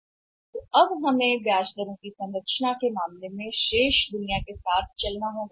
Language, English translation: Hindi, So, now we had to align with the rest of the world, in case of the term structure of interest rates